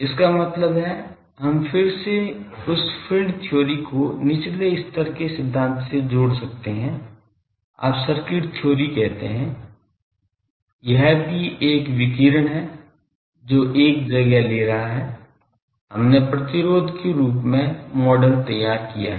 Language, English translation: Hindi, That means, we again could relate that field theory thing to a lower level theory, you call circuit theory that it is also a radiation what is taking place we have model designed as an resistance